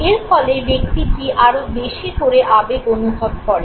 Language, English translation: Bengali, And this makes the individual move towards experiencing the emotion